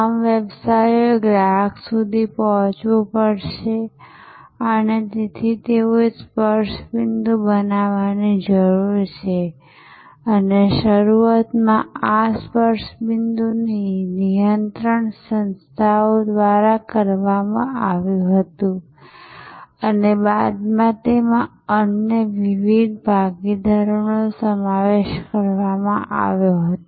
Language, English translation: Gujarati, So, all businesses have to reach the customer and therefore, they need to create touch points and initially these touch points were controlled by the organizations themselves and later on it incorporated various other partners